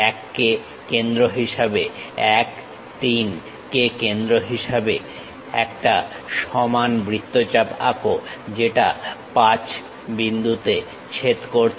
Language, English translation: Bengali, 1 as center, 1 3 as radius, draw a smooth arc which is intersecting point 5